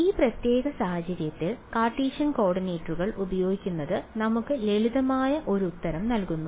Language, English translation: Malayalam, In this particular case it turns out that using Cartesian coordinates gives us a simpler answer